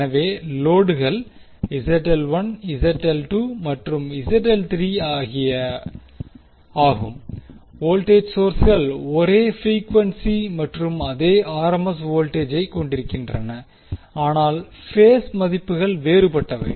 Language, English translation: Tamil, So, loads are Zl1, Zl2 and Zl3 voltage sources are having same frequency and same RMS voltage, but the phase values are different